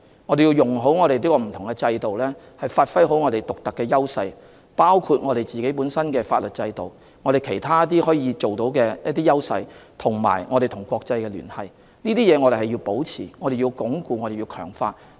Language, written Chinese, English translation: Cantonese, 我們需要運用所擁有的不同制度，發揮我們的獨特優勢，包括我們擁有的法律制度、其他方面的優勢，以及我們和國際之間的聯繫，這些是我們要保持、鞏固和強化的。, We need to make good use of the different systems by giving full play of our unique edges including our legal system and also our international connections . We need to maintain strengthen and fortify these edges